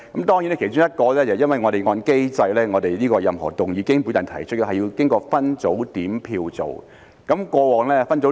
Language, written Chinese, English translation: Cantonese, 當然，其中一點是因為按照我們的機制，任何經我提出的議案，都要經過分組點票去做。, Of course one of the reasons is that under our mechanism any motion proposed by me has to go through the split voting procedure